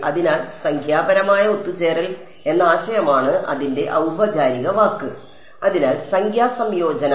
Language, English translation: Malayalam, So, that is the idea of numerical convergence that is the formal word for it; so, numerical convergence